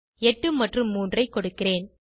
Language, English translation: Tamil, I will enter as 8 and 3